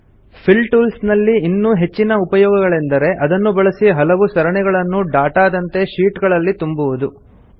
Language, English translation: Kannada, A more complex use of the Fill tool is to use it for filling some series as data in sheets